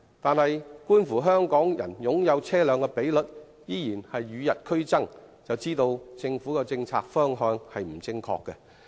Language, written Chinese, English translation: Cantonese, 然而，觀乎香港人擁有車輛的比率依然與日俱增，便知道政府的政策方向並不正確。, Nevertheless since the ratio of vehicle ownership in Hong Kong is still on the increase we know that the Governments policy direction is incorrect